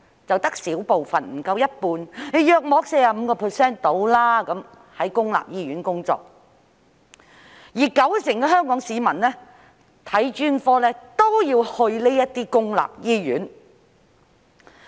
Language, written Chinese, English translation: Cantonese, 只有小部分，不足一半，大約 45% 的醫生在公立醫院工作，而九成香港市民看專科都要到公立醫院。, Only a small percentage of about 45 % of doctors are working in public hospitals whereas 90 % of Hong Kong people have to go to public hospitals for specialist services